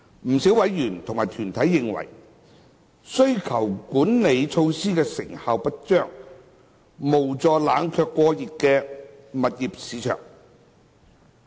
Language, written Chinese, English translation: Cantonese, 不少委員及團體代表認為，需求管理措施成效不彰，無助冷卻過熱的住宅物業市場。, Quite a number of members and deputations are of the view that the demand - side management measures are proven ineffective in cooling down the overheated residential property market